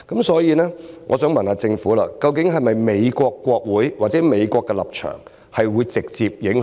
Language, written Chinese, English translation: Cantonese, 所以，我想問政府，究竟美國國會或美國的立場會否直接有影響？, Therefore I would like to ask the Government at the end of the day does the stance of the US Congress or US have any direct bearing on this matter?